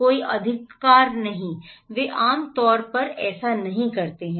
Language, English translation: Hindi, No right, they generally don’t do it